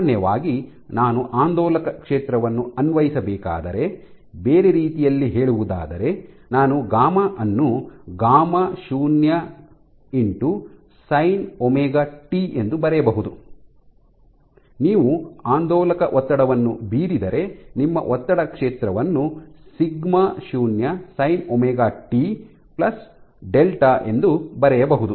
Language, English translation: Kannada, So, in general if I were to apply an oscillatory field, in other words I can write if I were to write gamma as gamma naught sin of omega T if you exert an oscillatory strain then your stress field can be written as sigma 0 sin of omega T plus delta